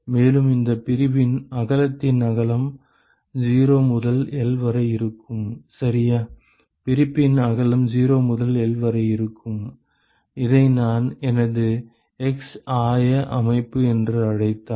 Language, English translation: Tamil, And, if the width of this width of separation is 0 to L, ok, the width of separation is 0 to L and if I call this as my x coordinate system